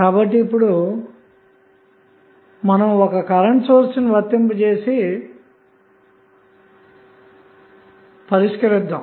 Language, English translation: Telugu, So, now let us apply one current source and try to solve it